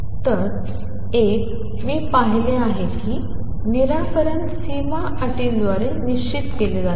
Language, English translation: Marathi, So, one I have seen that solution is fixed by boundary conditions